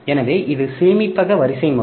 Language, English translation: Tamil, So, this is the storage hierarchy